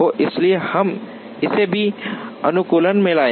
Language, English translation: Hindi, So, we would bring that also into the optimization